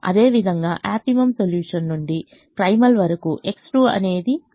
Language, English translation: Telugu, similarly, from the optimum solution to the primal, x two is four